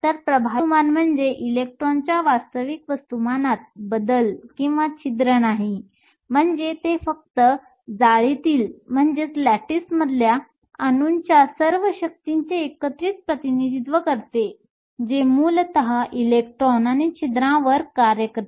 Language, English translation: Marathi, So, effective mass does not mean a change in the actual mass of the electron or the hole it just represents the cumulative of all the forces of the atoms in the lattice that basically acts on the electrons and holes